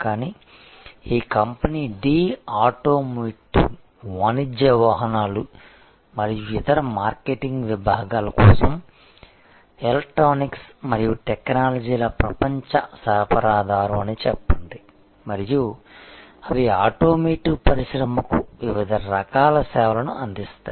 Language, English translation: Telugu, But, let us say this company D is a global supplier of electronics and technologies for automotive, commercial vehicles and other market segments and they provide various types of services to the automotive industry